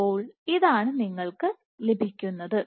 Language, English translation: Malayalam, So, this is what you can have